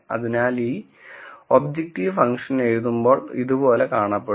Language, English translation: Malayalam, So, this objective function when it is written out would look something like this